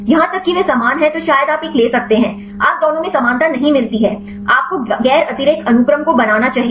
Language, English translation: Hindi, Even they are similarly then maybe you can take one; you get not similarity to in both this you should non redundancy sequences you can make